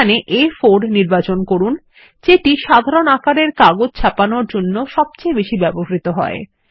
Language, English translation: Bengali, Here we will choose A4 as this is the most common paper size used for printing